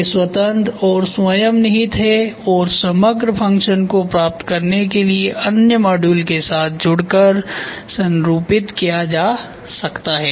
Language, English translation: Hindi, They are independent and self contained and can be combined and configured with other modules to achieve the overall function